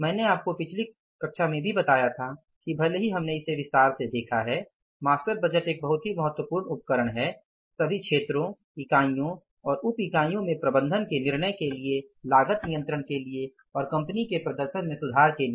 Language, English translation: Hindi, I told you in the previous class also that though we have seen it in detail that the master budget is a very very important tool for the management decision making for the cost control for improving the performance of the company in all areas units and subunits but still it has some limitations